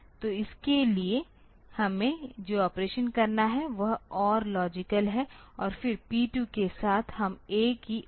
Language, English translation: Hindi, So, for that the operation that we have to do is OR logical and then with P 2 we do a logical oring of A